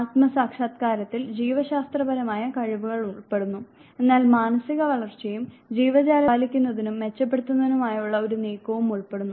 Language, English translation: Malayalam, Self actualization includes biological potential, but also involves psychological growth and a moving towards maintaining and enhancing the organism